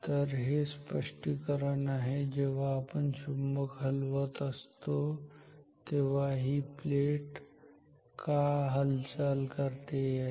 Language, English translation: Marathi, So, this is the explanation of why this plate is moving when we move this magnet ok